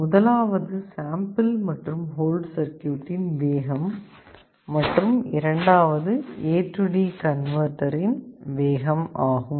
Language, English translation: Tamil, One is how fast is the sample and hold circuit, and the other is how fast is the A/D converter